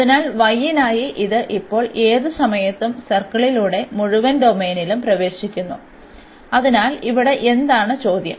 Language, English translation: Malayalam, So, for y it is now entering through the circle at any point here to cover the whole domain; so, entering through the circle